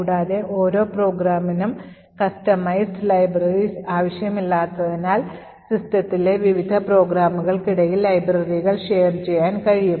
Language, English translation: Malayalam, Further, since we do not require customized libraries for each program, we can actually share the libraries between various programs in the system